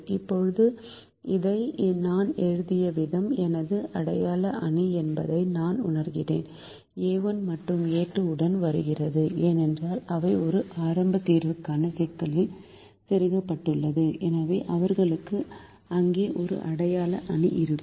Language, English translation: Tamil, now i realize that the way i have written this, my identity matrix is coming with a one and a two because they have been inserted into the problem for a starting solution and therefore they will have an identity matrix there